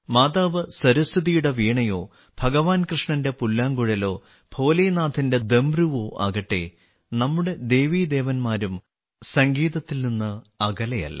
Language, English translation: Malayalam, Be it the Veena of Maa Saraswati, the flute of Bhagwan Krishna, or the Damru of Bholenath, our Gods and Goddesses are also attached with music